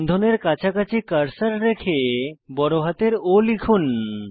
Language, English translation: Bengali, Place the cursor near the bond and press capital O